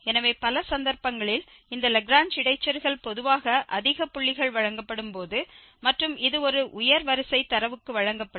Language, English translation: Tamil, So, in many cases this Lagrange interpolation usually when it is a higher order data is given and more points are given